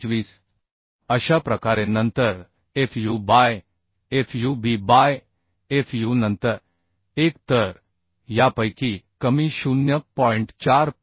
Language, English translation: Marathi, 25 like this then fub by fu then 1 so lesser of this is coming as 0